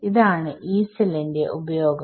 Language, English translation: Malayalam, So, this is the use of this Yee cell alright